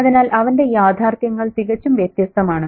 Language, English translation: Malayalam, So his realities are completely different